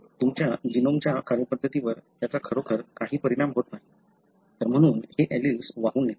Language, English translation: Marathi, Some, it does not really affect the way your genome functions, therefore you carry these alleles